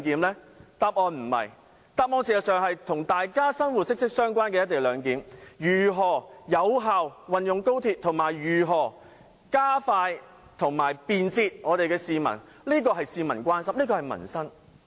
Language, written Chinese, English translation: Cantonese, "一地兩檢"與市民的生活息息相關，如何有效運用高鐵和如何加快落實便捷的"一地兩檢"，是市民所關心的民生議題。, The co - location arrangement is closely related to peoples daily lives . How XRL can be used effectively and how the convenient co - location arrangement can be implemented more expeditiously are livelihood issues of concern to the public